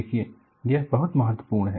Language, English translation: Hindi, See, this is very important